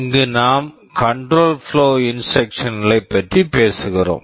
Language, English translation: Tamil, Here we shall be talking about the control flow instructions